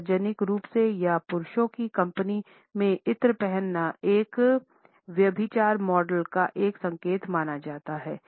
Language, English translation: Hindi, To wear perfumes in public or in the company of men is considered to be an indication of adulteress models